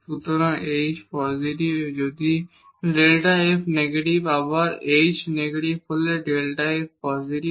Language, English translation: Bengali, So, if h is positive with the delta f is negative h is negative then delta f is positive